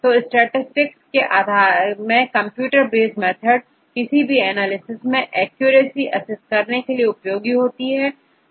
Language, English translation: Hindi, So, in statistics we say computer based method, to assess the measure of accuracy for any your analysis